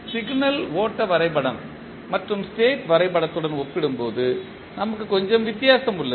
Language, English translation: Tamil, Which we have little bit difference as compared to signal flow graph and the state diagram